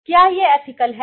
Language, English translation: Hindi, Is this ethical